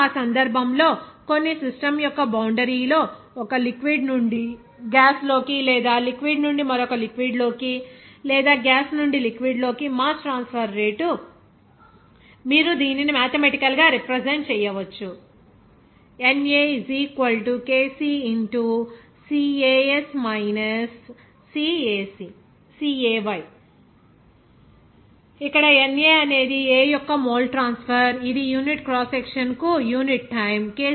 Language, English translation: Telugu, Now, in that case so, the rate of mass transfer across the boundary of some of the system from a liquid into gas or from the liquid into another liquid or from the gas into the liquid, you can represent this mathematically as by this NA = kC where this NA is the mole of A transfer per unit time per unit cross section